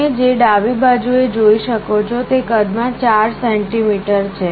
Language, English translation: Gujarati, The one on the left you can see is 4 centimeters total in size